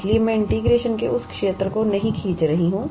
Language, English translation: Hindi, So, I am not drawing that, that area of integration